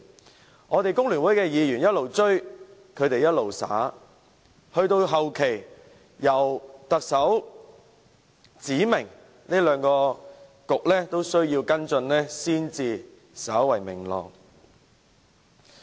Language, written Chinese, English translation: Cantonese, 即使我們工聯會的議員不斷催促，兩個政策局仍不斷推卸，及至後期，特首指明兩個政策局都需要跟進，情況才稍為明朗。, Despite repeated urges by Members from the Federation of Trade Unions the two Policy Bureaux did not cease to shirk their responsibilities . It was only at a later time when the Chief Executive explicitly stated that both Policy Bureaux should follow up these issues that the situation became slightly clearer